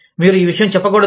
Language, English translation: Telugu, You should not say this